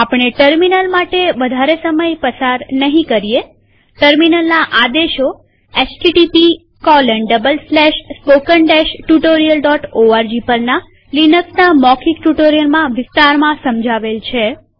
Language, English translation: Gujarati, Terminal commands are explained well in the linux spoken tutorials in http://spoken tutorial.org